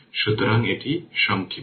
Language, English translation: Bengali, So, it is short right